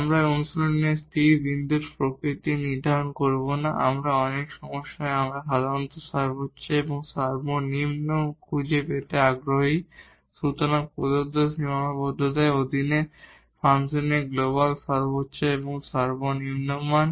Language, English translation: Bengali, We will we do not determine the nature of the stationary point in practice we in many problems we are usually interested finding the maximum and the minimum; so, the global maximum and minimum value of the function under given constraint